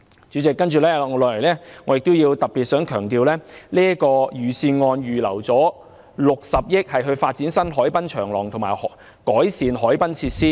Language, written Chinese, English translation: Cantonese, 主席，接下來我亦想特別強調，預算案預留了60億元發展新海濱長廊及改善海濱設施。, Chairman next I would like to comment on the 6 billion earmarked in the Budget for developing new harbourfront promenades and improving harbourfront facilities